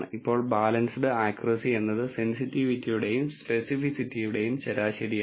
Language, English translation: Malayalam, Now, balanced accuracy is the average of sensitivity and specificity